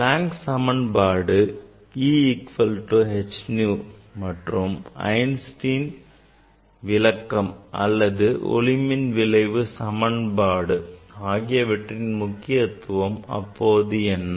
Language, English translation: Tamil, what was the importance of this Planck s equation E equal to h nu as well as the Einstein s explanation or Einstein s equation for the photoelectric effect, what was the importance at that time